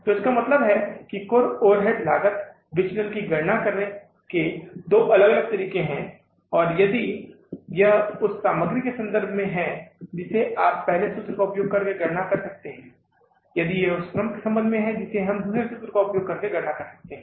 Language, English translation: Hindi, So these are the, means that the way, two different ways to calculate the total overhead cost variance and if it is in relation to the material you can calculate by using the first formula, if it is in relation to the labor, we can calculate by using the second formula, right